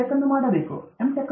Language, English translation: Kannada, Tech; you have to do your M